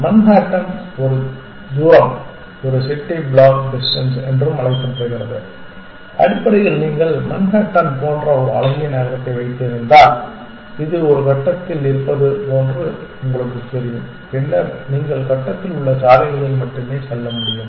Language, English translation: Tamil, What is the name of this distance function Manhattan function Manhattan distance also called a city block distance essentially if you have a nicely laid out city like Manhattan, then you know it is like on a grid then you can only go along the roads on the grid